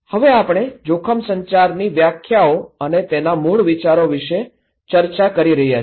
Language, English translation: Gujarati, Now, we are discussing about the risk communication definitions and core ideas